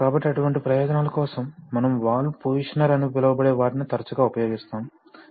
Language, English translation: Telugu, So for, it is for such purposes that we use often use what is known as a valve positioner